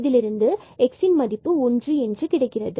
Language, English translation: Tamil, So, x we can take common here